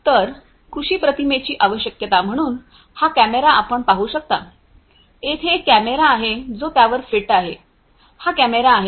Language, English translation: Marathi, So, agro imagery requirements so, there is this camera as you can see, there is a camera that is fitted to it this is this camera